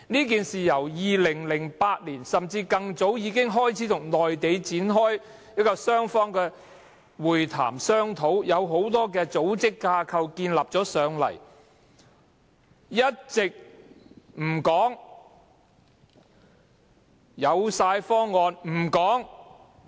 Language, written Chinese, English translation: Cantonese, 政府由2008年甚至更早之前，已開始與內地展開雙方會談，商討這件事，很多組織架構已建立了，卻一直不說；具體方案有了，也不透露。, The Government has been discussing the issue with the Mainland authorities since 2008 or even earlier and in the process a lot of plans and schemes have been drawn up and a concrete proposal has even been formulated but the Government has mentioned nothing about that